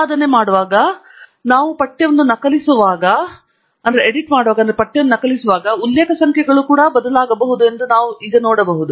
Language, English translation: Kannada, We can now see that as we copy paste the text around while editing, then the reference numbers also should change